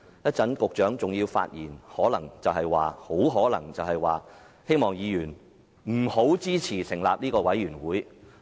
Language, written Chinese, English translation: Cantonese, 稍後局長還會發言，很可能會呼籲議員不要支持成立專責委員會。, When the Secretary speaks in a moment he will probably urge Members not to support the establishment of a select committee